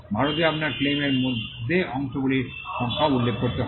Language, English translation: Bengali, In India, you will have to mention the numbers of the parts within the claim also